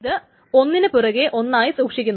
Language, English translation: Malayalam, These are all stored together